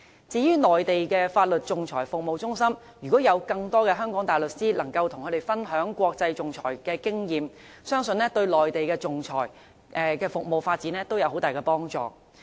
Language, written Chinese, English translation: Cantonese, 至於內地的法律仲裁服務中心，如果有更多香港的大律師能夠跟他們分享國際仲裁的經驗，相信對內地的仲裁服務發展會有很大幫助。, As far as arbitration centres in the Mainland are concerned if more Hong Kong barristers can share their experience in international arbitration with them it would be of great help to the development of arbitration services in the Mainland